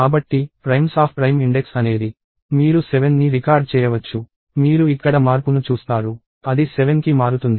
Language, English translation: Telugu, So, primes of prime index is – you can record 7; you will see a change here; it changes to 7